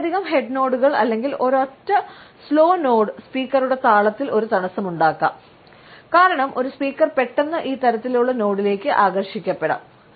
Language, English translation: Malayalam, Multiple head nods or a single slow nod may cause a disruption in the speakers rhythm, because a speaker may suddenly be attracted to this type of a nod